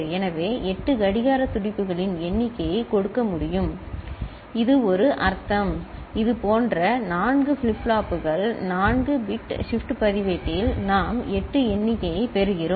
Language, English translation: Tamil, So, it can give a count of 8 clock pulses, right and this is, this is a in that sense, with four such flip flops, 4 bit shift register we are getting a count of 8